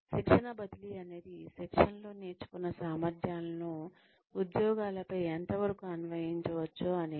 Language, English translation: Telugu, Transfer of training is, the extent to which, competencies learnt in training, can be applied on the jobs